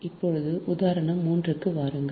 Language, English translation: Tamil, now come to example three